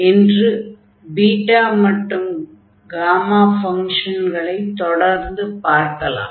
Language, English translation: Tamil, We will continue the discussion on Beta and Gamma Function